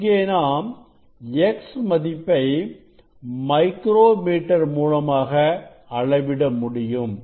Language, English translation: Tamil, here if we measure this x with using the slit micrometer slit